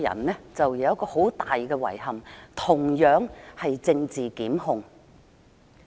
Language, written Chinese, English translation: Cantonese, 我有一個很大的遺憾，同樣與政治檢控有關。, I have a terrible regret which is also related to political prosecution